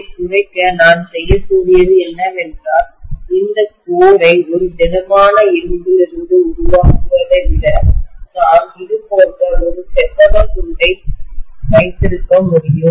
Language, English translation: Tamil, To minimize this, what I can do is rather than making this core just out of a solid piece of iron, I can just have a rectangular piece like this